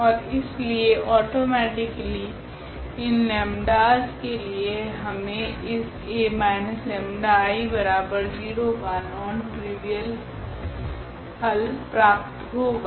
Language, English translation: Hindi, And therefore, automatically for these lambdas we will get the non trivial solution of these A minus lambda I x is equal to 0